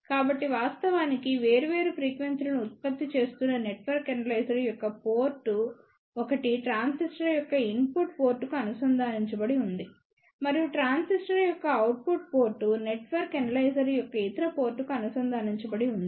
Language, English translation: Telugu, So, one of the port of the network analyzer which is actually generating different frequencies is connected to the input port of the transistor and the output port of the transistor is connected to the other port of the network analyzer which does the measurement